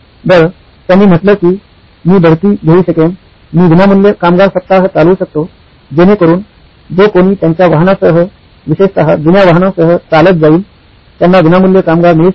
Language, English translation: Marathi, Well, he said I could run promotions, I could run free labour week so that anybody who walks in with their vehicle, old vehicles in particular, gets the labour for free